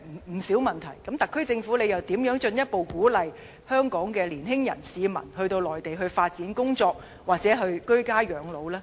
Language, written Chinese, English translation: Cantonese, 在這樣的情況下，特區政府又如何能進一步鼓勵香港年輕人或市民到內地發展工作，或居家養老？, Under the circumstances how can the SAR Government further encourage young people or residents of Hong Kong to pursue their careers or spend their retirement lives in the Mainland?